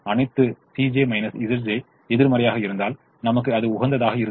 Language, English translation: Tamil, and once all c j minus z j's were negative, we got optimum